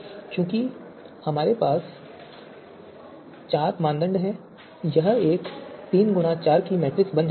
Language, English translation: Hindi, So we have four criteria this becomes three cross four matrix